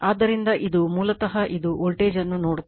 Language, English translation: Kannada, So, it , basically, it is sees the voltage